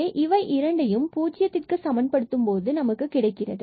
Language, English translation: Tamil, So, we will get 2 y and we will get here 12 x square